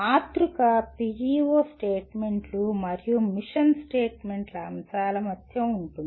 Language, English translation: Telugu, The matrix is between PEO statements and the elements of mission statements